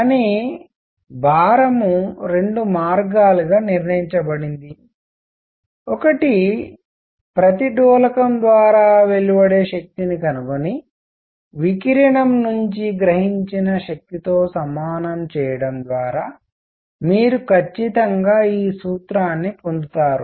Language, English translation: Telugu, But the weight is derived as a two ways one is to find the energy radiated by each oscillator and equate it to the energy absorbed by it from the radiation, you do that and you get precisely this formula